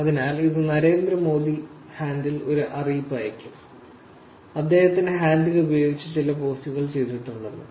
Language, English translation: Malayalam, So, this would basically have a notification to the handle Narendra Modi saying that some post has been done with his handle